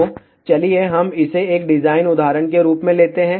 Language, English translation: Hindi, So, let us just take it a design example